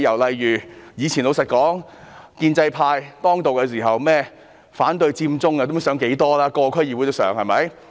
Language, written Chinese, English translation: Cantonese, 老實說，以往建制派當道，各區議會連反對佔中也不知討論了多少回。, Frankly speaking in the past when pro - establishment Members dominated DCs the subject of opposing Occupy Central had been discussed on numerous occasions